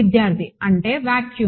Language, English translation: Telugu, That means, the vacuum